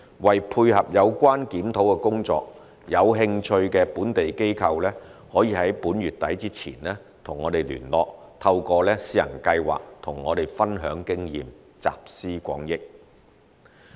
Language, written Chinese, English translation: Cantonese, 為配合有關檢討工作，有興趣的本地機構可於本月底前與我們聯絡，透過試行計劃與我們分享經驗，集思廣益。, To facilitate the review process interested local organizations may wish to contact us by end of this month to share their experience of the pilot scheme with us for pooling of collective wisdom